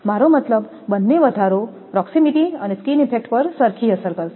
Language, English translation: Gujarati, I mean, both increase will be affected same for proximity and your skin effect